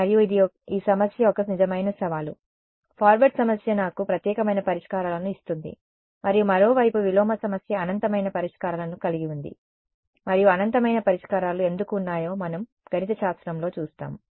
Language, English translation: Telugu, And, this is a real challenge of this problem, the forward problem gives me unique solutions and the inverse problem on the other hand has infinite solutions and we will see mathematically why there are infinite solutions